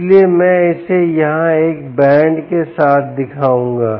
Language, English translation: Hindi, so i will show it with a band here